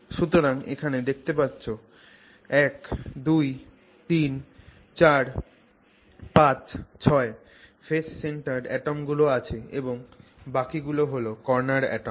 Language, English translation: Bengali, So, that's whatever 1, 2, 3, 4, 5 and 6, 6 phase centered atoms and the rest of them are corner atoms